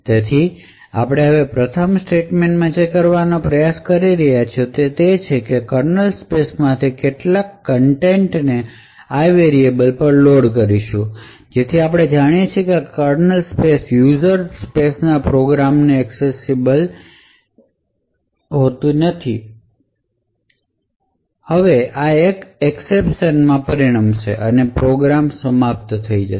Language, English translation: Gujarati, So now what we are trying to do in the first statement is load some contents from the kernel space into this variable called i, so as we know that the kernel space is not accessible from a user level program, now this would result in an exception to be thrown and the program would terminate